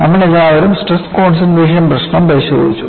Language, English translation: Malayalam, See, you all have looked at problem of stress concentration